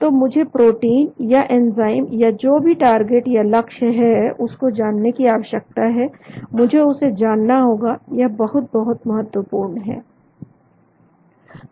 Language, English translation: Hindi, So I need to know the protein or enzyme or whatever the target, I need to know that that is very, very important